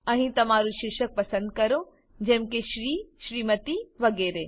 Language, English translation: Gujarati, Here, select your title, like Shri, Smt etc